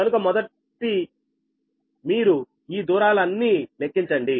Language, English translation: Telugu, so first, all these distances you compute right